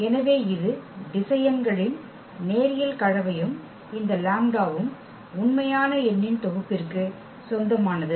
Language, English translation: Tamil, So, this the linear combination of the vectors and this lambda belongs to the set of real number